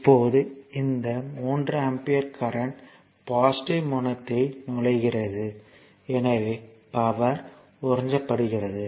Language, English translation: Tamil, Now, this 3 ampere current is entering into the your what you call positive terminal so, power is being absorbed